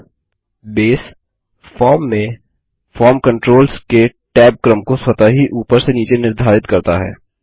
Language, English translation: Hindi, Now, Base automatically sets the tab order of the form controls from top to bottom in a form